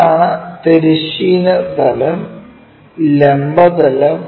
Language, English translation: Malayalam, So, so, this is the horizontal plane what we have, this is the vertical plane, horizontal plane, and that is the vertical plane